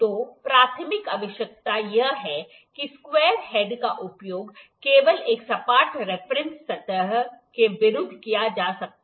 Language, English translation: Hindi, So, the primary requirement is that the square head can be used only against a flat reference surface